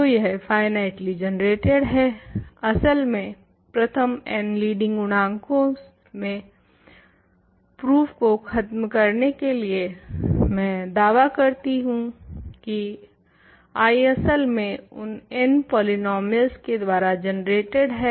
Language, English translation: Hindi, So, it is finitely generated in fact, by the first n leading coefficients now to finish the proof I am claiming that I is in fact, generated by those n polynomials, we do not need to continue